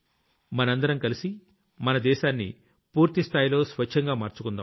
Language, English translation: Telugu, Together, we will make our country completely clean and keep it clean